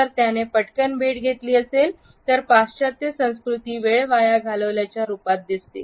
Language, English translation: Marathi, If he has met quickly the western cultures will see it as a waste of time